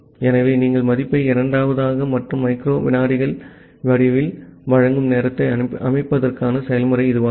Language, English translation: Tamil, So, this is the procedure to set the timeout you provide the value in the form of second and microseconds